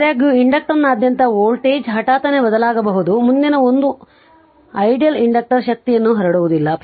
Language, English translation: Kannada, However the voltage across an inductor can change abruptly, next 1 is an ideal inductor does not dissipate energy right